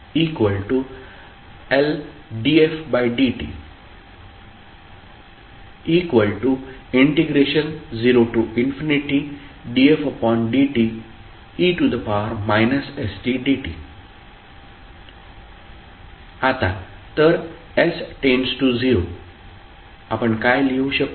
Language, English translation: Marathi, Now if s tends to 0 what we can write